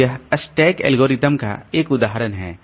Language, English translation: Hindi, , this is an example of stack algorithm